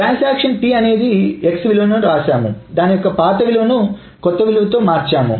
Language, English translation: Telugu, So it essentially says that transaction T has written the value on X and it has replaced the old value with the new